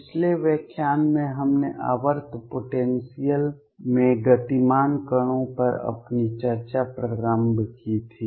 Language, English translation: Hindi, In the previous lecture we started our discussion on particles moving in a periodic potential